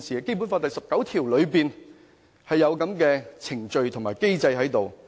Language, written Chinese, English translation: Cantonese, 《基本法》第十九條有這樣的程序及機制。, The procedures and system are stipulated in Article 19 of the Basic Law